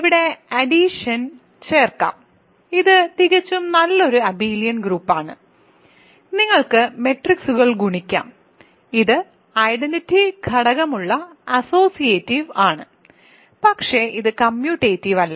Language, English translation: Malayalam, So, see here also we can add under addition it is a perfectly good abelian group, you can multiply matrices, it is associative it has identity element, but it is not commutative ok